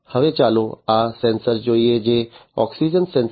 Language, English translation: Gujarati, Now let us look at this sensor, which is the oxygen sensor